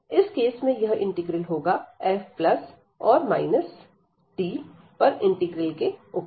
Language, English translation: Hindi, So, in that case this integral will be over this f and plus or minus the integral over D